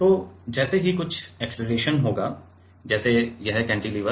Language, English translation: Hindi, So, as soon as there will be some acceleration or there will be some acceleration like let us say this cantilever